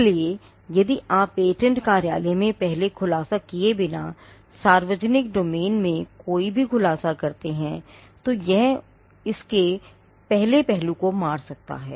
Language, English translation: Hindi, So, if you make any disclosure into the public domain, without first disclosing to the patent office then it can kill the first aspect